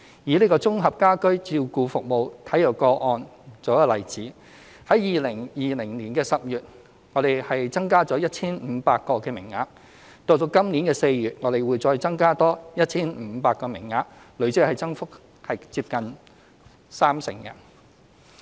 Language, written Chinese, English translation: Cantonese, 以綜合家居照顧服務為例 ，2020 年10月我們增加了 1,500 個名額，今年4月會再增加多 1,500 個名額，累積增幅接近三成。, Taking the Integrated Home Care Services Frail Cases as an example we have provided an additional 1 500 service quota in October 2020 and will further provide an additional 1 500 service quota in April this year representing a cumulative increase of nearly 30 %